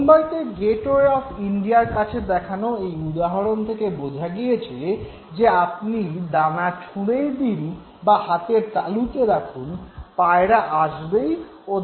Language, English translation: Bengali, In the case of the example of the Pigeons near Gateway of India in Mumbai, you realize that whether you throw the grain on the ground or you hold the grain in your own palm, the pigeons come and they take, they eat the grain